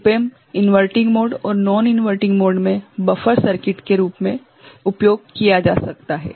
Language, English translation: Hindi, Op Amp in inverting mode and non inverting mode can be used as a buffer circuit